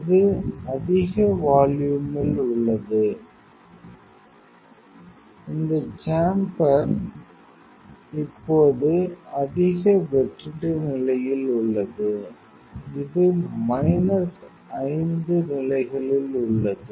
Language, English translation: Tamil, It will, it is in a high vacuum this chamber is in high vacuum condition now, it is in minus 5 levels